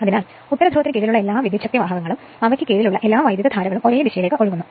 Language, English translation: Malayalam, So, all the currents in under your all the conductors under the North Pole flowing in one direction right